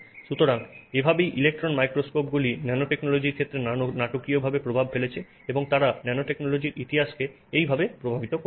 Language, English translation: Bengali, So, this is how electron microscopes have dramatically impacted the field of nanotechnology and that is how they have impacted the history of nanotechnology